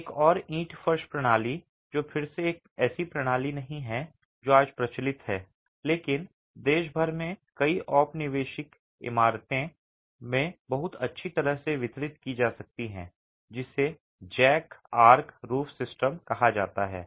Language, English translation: Hindi, Another brick flow system that is, again, not a system that is prevalent today, but can be found very well distributed in many colonial buildings across the country is referred to as a jack arch roof system